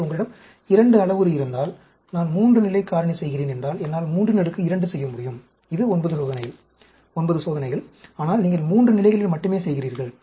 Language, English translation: Tamil, So, if you have a 2 parameter, if I am doing a factorial, 3 level, I can do 3 raised to the power 2 which is 9 experiments, but you are doing only at 3 levels